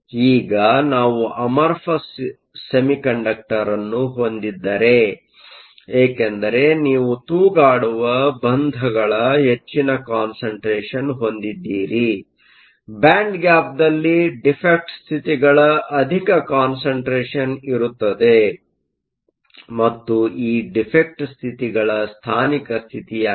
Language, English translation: Kannada, Now if we have an amorphous semiconductor, because you have a large density of dangling bonds, there will be a large density of defect states in the band gap, and these defect states are localized states